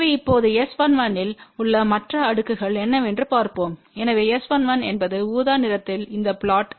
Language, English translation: Tamil, So, now let us see what are the other plots over here S 1 1 , so S 1 1 is this plot in the purple color